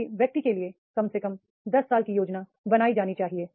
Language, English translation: Hindi, At least 10 years planning for an individual is to be done